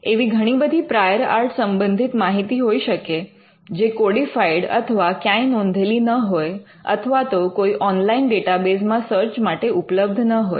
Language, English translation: Gujarati, There could be n number of prior art material which are not codified or recorded or available on an online database for search